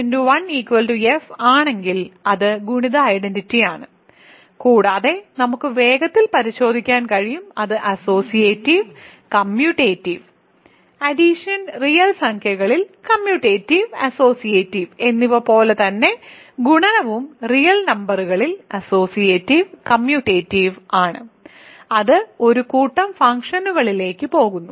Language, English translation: Malayalam, Because, if f times the constant function is simply f so, it is the multiplicative identity and we can check quickly that is associative and commutative; again just like addition is commutative and associative on real numbers multiplication is associative and commutative on real numbers, that carries over to the set of functions